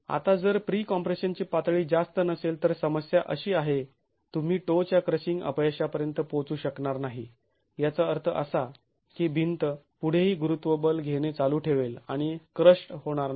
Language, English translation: Marathi, Now if the level of pre compression is not high the problem is you might not reach crushing failure at the toe which means the wall is going to continue to carry the gravity forces and not get crushed